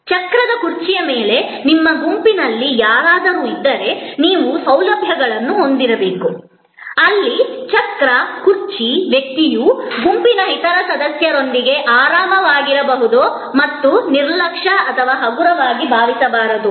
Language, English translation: Kannada, There could be somebody in your group is on a wheel chair, so you have to have a facilities, where a wheel chair person can be comfortable with the other members of the group and not feel neglected or slighted